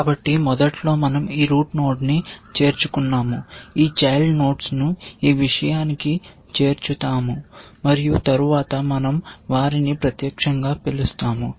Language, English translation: Telugu, So, initially we would have added this root then, we will add both these children to this thing and then, we will call them live essentially